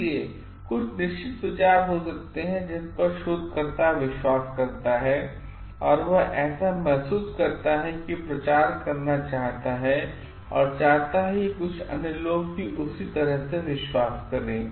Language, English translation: Hindi, So, there are certain ideas which there are certain ideas maybe which the researcher believes in and what he or she feels like wants to be propagated and wants others to believe in that way